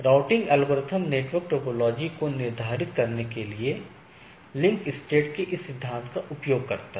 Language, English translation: Hindi, The routing algorithms use this principle of link state to determine the network topology